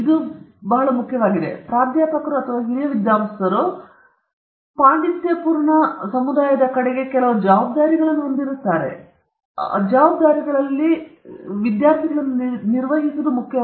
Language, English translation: Kannada, This is again, very important, because as professors or as senior scholars, researchers might have certain responsibilities towards the scholarly community, and one of such responsibilities is towards oneÕs students